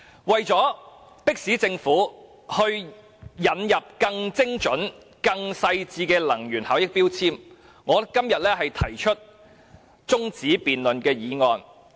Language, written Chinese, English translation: Cantonese, 為了迫使政府引入更精準、更細緻的能源標籤，我今天提出中止待續議案。, In order to press the Government for introducing more precise and detailed energy labels I now move this motion for adjournment